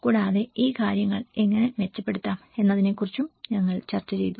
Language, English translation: Malayalam, And also, we did discussed about how these things could be improved